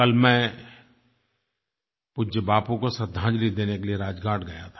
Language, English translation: Hindi, Yesterday, I went to pay homage to respected Bapu at Rajghat